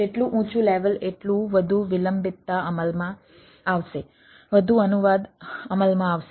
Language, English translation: Gujarati, more the higher level, then more latency will come into play, more translation will come into play